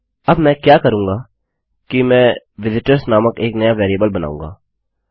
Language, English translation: Hindi, Now, what Ill do is I will create a new variable called visitors